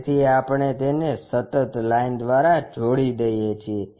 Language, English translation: Gujarati, So, we join that by a continuous line